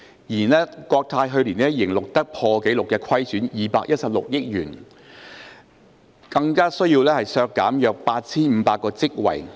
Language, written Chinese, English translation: Cantonese, 然而，國泰去年仍錄得破紀錄虧損216億元，並需削減約8500個職位。, However CX still recorded a record - breaking deficit of 21.6 billion and needed to reduce approximately 8 500 positions last year